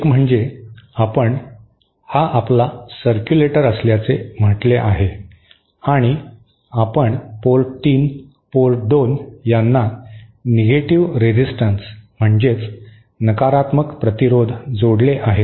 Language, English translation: Marathi, One is if you say this is your circulator and you connect a negative resistance to say port 3, port 2